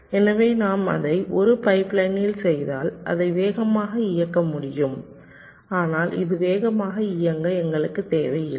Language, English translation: Tamil, so if we make it in a pipe line then it can be run faster, but we do not need it to run faster